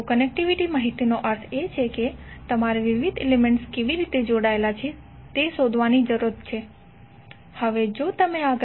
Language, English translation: Gujarati, So connectivity information means you need to find out how the various elements are connected